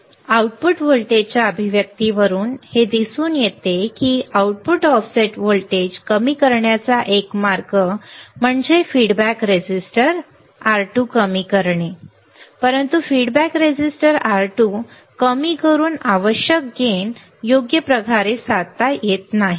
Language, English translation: Marathi, So, it can be seen from the output voltage expression that a way to decrease the output offset voltage is by minimizing the feedback resistor R2, but decreasing the feedback resistor R2 required gain cannot be achieved right